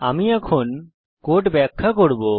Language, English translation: Bengali, I shall now explain the code